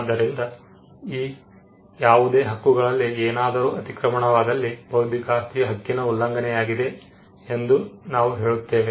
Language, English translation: Kannada, So, if there is intrusion into any of these rights the invention, then we would say that there is an infringement of the intellectual property right